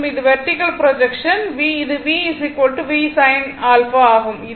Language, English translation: Tamil, And this vertical projection this one V dash is equal to V sin alpha